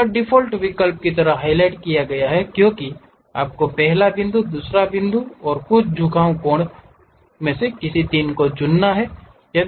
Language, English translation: Hindi, The default option here is highlighted as you have to pick first point, second point, some inclination angle 3